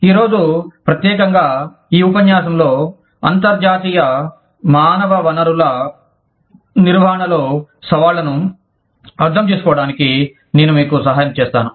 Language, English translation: Telugu, And today, specifically in this lecture, i will be helping you understand, the Challenges to International Human Resource Management